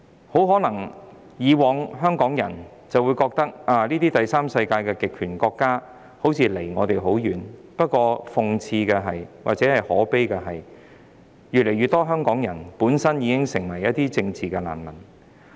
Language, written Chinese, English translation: Cantonese, 香港人以往很可能認為這些第三世界的極權國家與我們距離很遠，但諷刺及可悲的是，越來越多香港人本身也成為了政治難民。, In the past Hong Kong people might think that these totalitarian third world countries were far away from us but ironically and sadly more and more Hong Kong people have become political refugees themselves